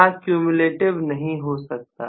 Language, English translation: Hindi, I cannot have cumulative, got it